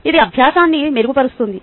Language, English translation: Telugu, that can improve learning